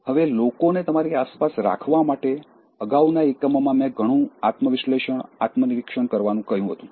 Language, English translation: Gujarati, Now, in order to keep the people around you, in the previous one I said do lot of self analysis, introspection